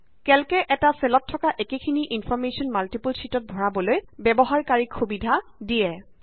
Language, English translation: Assamese, Calc enables a user to enter the same information in the same cell on multiple sheets